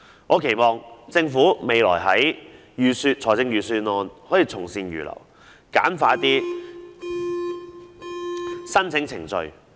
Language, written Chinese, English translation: Cantonese, 我期望政府未來的預算案能夠從善如流，簡化申請程序。, I hope the Government will heed good advice for its future budgets and streamline the application procedures